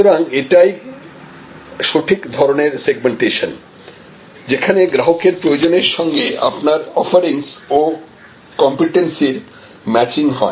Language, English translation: Bengali, So, this the proper type of segmentation matching your offerings your competencies with customer's requirements